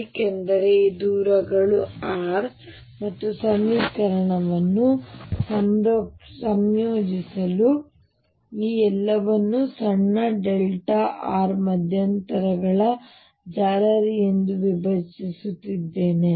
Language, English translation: Kannada, Because this distances r and I am dividing this whole thing in towards called a mesh of small delta r intervals to integrate the equation